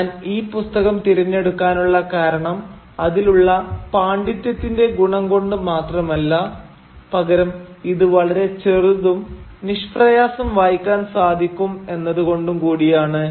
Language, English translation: Malayalam, And the reason I choose this book is not only because of the quality of scholarship that is there to be found in this book but also because it is short and really very easily readable